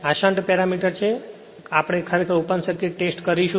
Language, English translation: Gujarati, These are shunt parameters right we will perform actually open circuit test